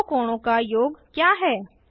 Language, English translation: Hindi, What is the sum of about two angles